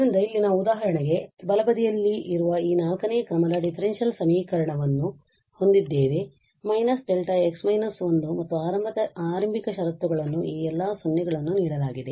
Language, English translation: Kannada, So, here we have for instance, this fourth order differential equation with right hand side having delta x minus 1 the initial conditions are given all these 0's